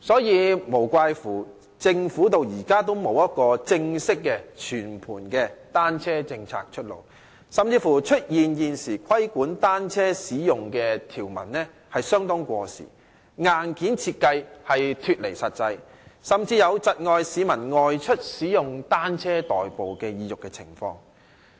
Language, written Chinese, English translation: Cantonese, 難怪政府至今仍未推出正式和全盤的單車政策，出現規管單車使用條文過時，硬件設計脫離實際，甚至是窒礙市民外出使用單車代步的意欲的情況。, No wonder the Government has yet to introduce a formal and comprehensive bicycle - friendly policy . Not only have the provisions regulating the use of bicycles become obsolete but the design of hardware is detached from reality . All this stifles the publics incentive to commute by bicycles